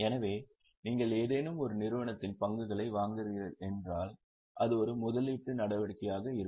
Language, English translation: Tamil, So, if you are purchasing shares of some entity it will be an investing activity